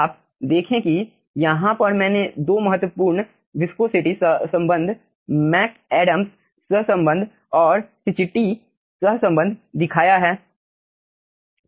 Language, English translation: Hindi, you see i have aah shown 2 important viscosity correlation: mcadams correlation and cicchitti correlation over here